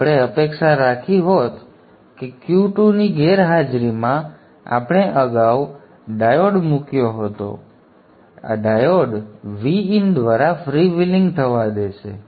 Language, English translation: Gujarati, So we would have expected that in the absence of Q2 we had earlier put a diode and the diode will allow the free wheeling to happen through the V